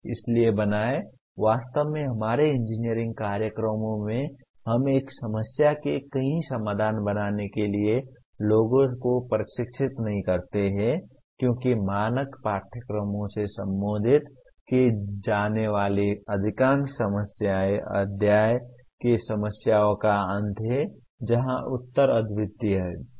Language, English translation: Hindi, So create, actually in our engineering programs we do not train people for creating multiple solutions to a problem because most of the problems that are addressed in the standard courses are end of the chapter problems where the answers are unique